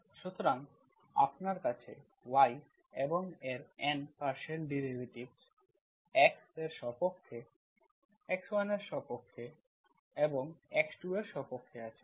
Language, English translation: Bengali, So you have y and its N partial derivative with respect to x, with respect to, with respect to x1 and with respect to x2